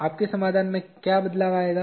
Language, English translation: Hindi, What will change in your solution